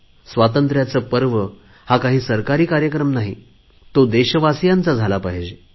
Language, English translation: Marathi, Independence Day should not be a government event, it should be the celebration of the entire people